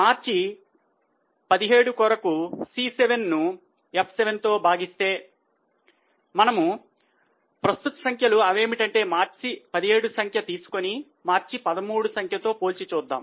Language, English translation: Telugu, So, March 16, C7 upon F7 and for the March 17 we'll compare the current figure that is March 17 figure with March 13 figure